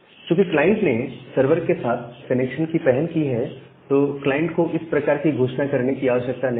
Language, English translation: Hindi, Because the client is initiating the connection to the server, the client do not need to make such kind of announcement